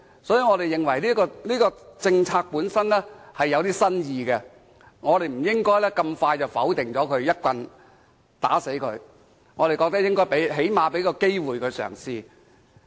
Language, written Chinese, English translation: Cantonese, 所以，我們認為這項政策本身具新意，不應這麼快便否決它，一棒打死它，我們最少應給它一個嘗試機會。, Therefore we find this policy measure innovative and should not be rejected at once . We should at least give it a chance